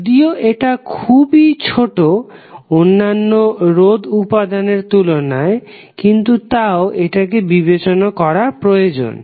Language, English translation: Bengali, Although it is small as compare to the other resistive element, but it is still need to be considered